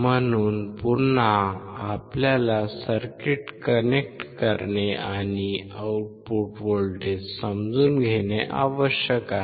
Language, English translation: Marathi, So, again we need to connect the circuit and understand the output voltage